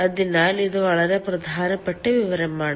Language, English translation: Malayalam, so this is very important information